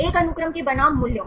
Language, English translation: Hindi, A sequence versus the values right